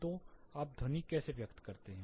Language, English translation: Hindi, So, how do you express sound